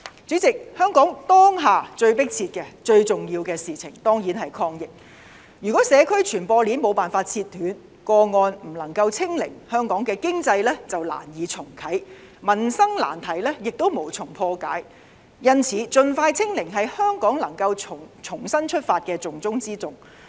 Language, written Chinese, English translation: Cantonese, 主席，香港當下最迫切、最重要的事情當然是抗疫，如果社區傳播鏈沒有辦法切斷，個案不能夠"清零"，香港的經濟便難以重啟，民生難題亦無從破解，因此，盡快"清零"是香港能夠重新出發的重中之重。, President the most imminent and important issue of Hong Kong is the efforts to fight the pandemic . It we cannot cut the virus transmission chain in the community and cannot achieve zero infection it will be rather difficult for Hong Kong to restart its economy and it is also hard to solve the livelihood problems . For that reason it is of utmost importance to expeditiously achieve zero infection if we are to restart our economy